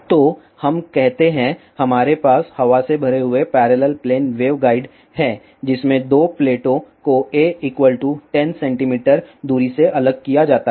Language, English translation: Hindi, So, let us say, we have inair filled parallel plane waveguide in which the 2 plates are separated by a distance a is equal to 10 centimeter